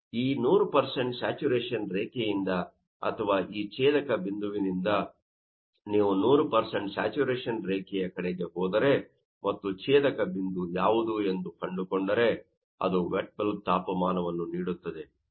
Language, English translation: Kannada, So, from this 100% saturation line or from this intersection point, if you go 100% saturation line and what will be the intersection point that will give you wet bulb temperature, so, it is coming 20 degrees Celsius